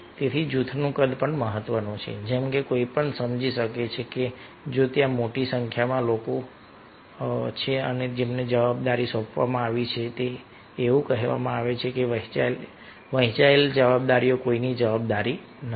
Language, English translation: Gujarati, so size of the group also also matters ah, as one can also understand that if there are ah large number of people who have been given the responsibility, because it is said that sealed responsibility is nobodies responsibility